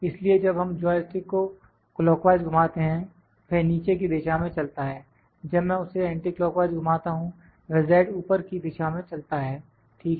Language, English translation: Hindi, So, when we rotate this joystick clockwise, it moves the direction downwards, when I rotate it anticlockwise, it moves the z upwards, ok